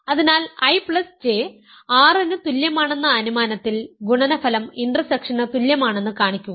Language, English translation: Malayalam, So, under the assumption that I plus J is equal to R, show that the product is equal to the intersection